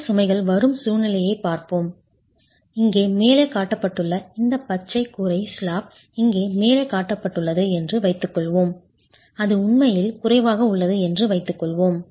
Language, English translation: Tamil, Let's assume that the roof slab that is shown here at the top, this green roof slab that is shown here at the top, assume that's really low